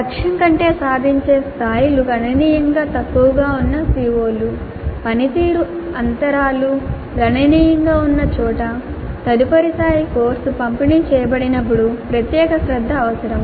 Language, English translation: Telugu, The COs where the attainment levels are substantially lower than the target, that means where the performance gaps are substantial would require special attention the next time the course is delivered